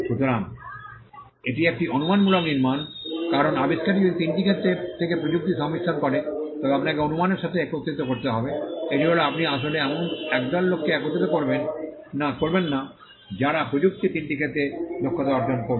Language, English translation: Bengali, So, it is a hypothetical construct because if the invention combines technology from three fields, then you will have to assemble hypothetically that is you do not actually do that assemble a group of people who will have taken a skills from all the three fields of technology